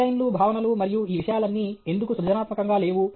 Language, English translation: Telugu, Why are designs, concepts, and all these things not creative